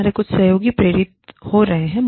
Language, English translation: Hindi, Some of our colleagues, are getting motivated